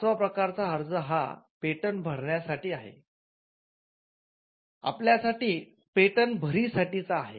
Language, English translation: Marathi, The fifth type of application is an application for a patent of addition